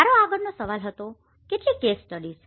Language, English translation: Gujarati, My next question was how many case studies